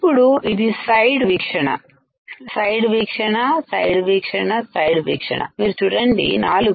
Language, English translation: Telugu, Now, this one is side view, side view, side view, side view